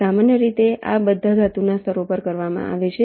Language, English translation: Gujarati, typically these are all done on metal layers